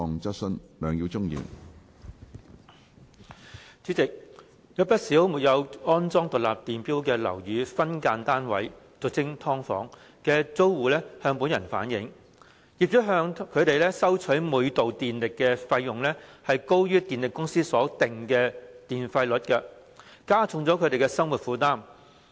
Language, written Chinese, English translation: Cantonese, 主席，有不少沒有安裝獨立電錶的樓宇分間單位的租戶向本人反映，業主向他們收取每度電力的費用，高於電力公司所定的電費率，加重他們的生活負擔。, President quite a number of tenants residing in sub - divided units SDUs of flats not installed with individual electricity meters have relayed to me that the unit rates of electricity they are charged by their landlords are higher than the tariff rates set by power companies which has increased their burdens of living